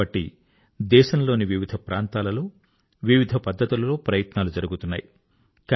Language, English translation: Telugu, For this, efforts are being made in different parts of the country, in diverse ways